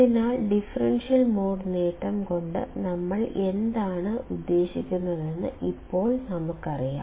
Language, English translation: Malayalam, So, now, we know what do you mean by differential mode gain